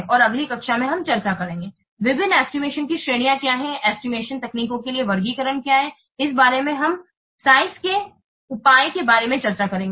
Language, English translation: Hindi, And in the next class we will discuss what are the various estimation, what are the categories of what are the taxonomy for the estimation techniques